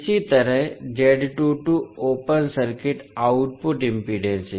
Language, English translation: Hindi, Similarly, Z22 is open circuit output impedance